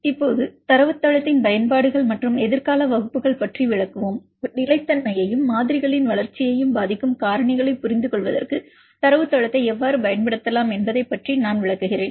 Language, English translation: Tamil, Now, now we will explain about the utilities of database and the future classes I will explain about how we can use database for understanding the factors which influence the stability as well as development of models